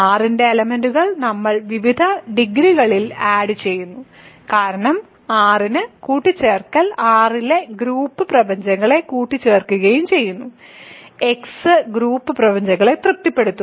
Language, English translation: Malayalam, We are adding elements of R in various degrees because addition in R satisfies group axioms addition in R[x] also satisfies group axioms